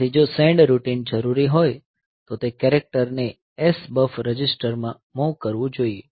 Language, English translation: Gujarati, So, what if the send routine what is required is that that the character should be moved to the SBUFF register